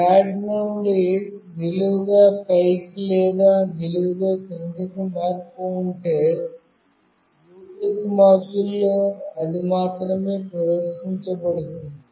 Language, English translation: Telugu, If there is a change from flat to vertically up or vertically down, then only it will get displayed in the Bluetooth module